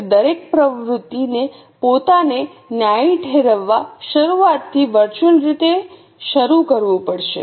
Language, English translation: Gujarati, So, every activity has to virtually start from the beginning to justify itself